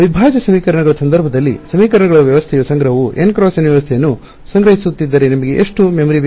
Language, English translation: Kannada, Then the storage of the system of equations in the case of integral equations was storing a n by n system you need how much memory